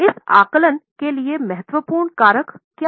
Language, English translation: Hindi, What are the important factors for estimation